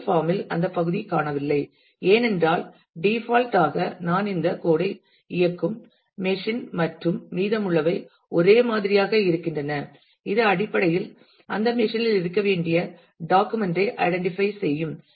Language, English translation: Tamil, And in the first form that part is missing because it is by default the machine where I am running this code and rest of it is same which is basically the identifying the document to be to be located in that machine